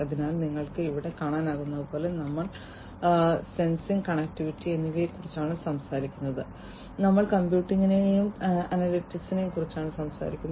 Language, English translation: Malayalam, So, as you can see over here we are talking about sensing we are talking about interconnectivity, and we are talking about computing and analytics